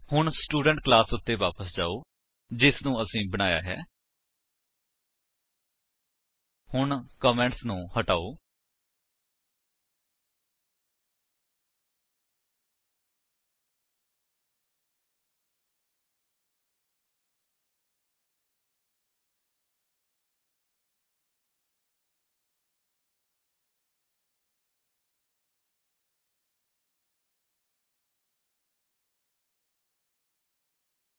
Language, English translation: Punjabi, So, let us come back to the Student class which we created